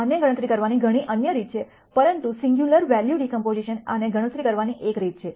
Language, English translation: Gujarati, There are many other ways of computing this, but singular value decomposition is one way of computing this